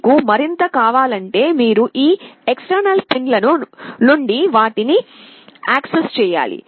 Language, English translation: Telugu, If you want more you will have to access them from these extension pins